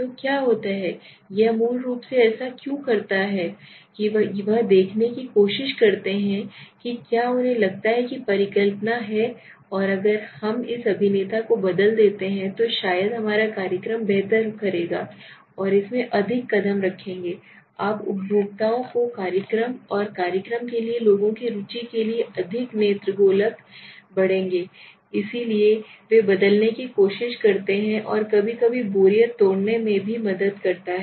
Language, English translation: Hindi, So what happens is basically why does it do it they try to see whether they feel they have hypothesis that if we change this actor maybe our program will do better right they will pull in more you know consumers more eyeballs to the program and people's interest for the program will increase and that is why they try to change and sometimes it also helps them in breaking the boredom right